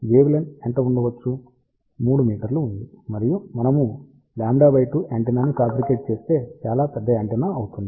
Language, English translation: Telugu, What is going to be the wavelength, 3 meter and if we design a lambda by 2 antenna that is going to be a very large antenna